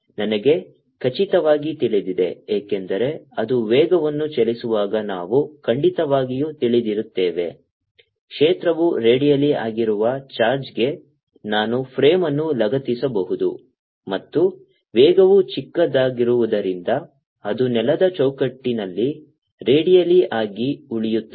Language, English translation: Kannada, i cartinly no, because when it moving a velocity we have certainly know that i can attach a frame to the charge in which the field is radial and since velocity small, it remains redial in a ground frame